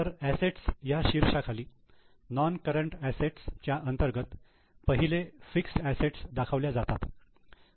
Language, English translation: Marathi, So, under assets NCA non current assets, first fixed assets are shown